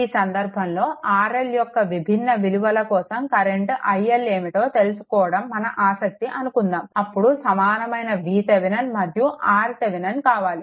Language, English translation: Telugu, But in this case, suppose our interest to find out what is current i L for different values of R L, then equivalent V Thevenin and R Thevenin we have got